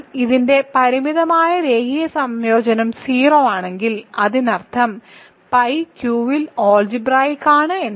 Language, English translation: Malayalam, But if a finite linear combination of this is 0; that means, pi is algebraic over Q which it is not